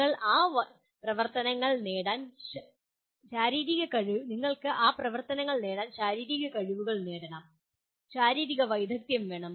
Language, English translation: Malayalam, You have to master the physical skill, acquire the physical skills to perform those activities